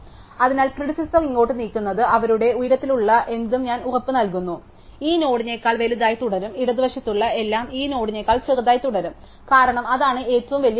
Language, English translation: Malayalam, So, moving the predecessor here I guaranty there anything that is to their height, remains bigger then this node and everything to the left remains smaller then this node, because that was the biggest values